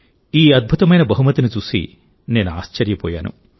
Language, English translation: Telugu, I was surprised to see this wonderful gift